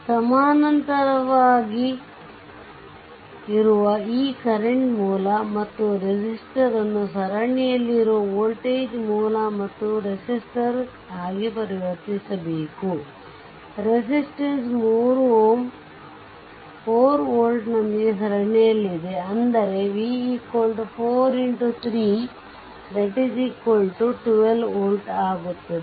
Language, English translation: Kannada, If you try to convert it into the your what you call judiciously you have to make it into that your voltage source and resistance in series, the resistance this 3 ohm is in series, then 4 that v is equal to it is 4 into 3 that is your 12 volt, that is 12 volt right